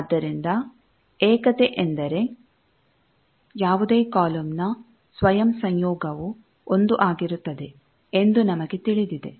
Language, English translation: Kannada, So, we know that unitary means any column is self conjugate will be 1